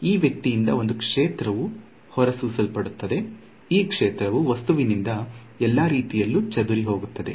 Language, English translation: Kannada, So, that there is a field is emitted by this guy this field is going to get scattered by the object in all possible ways right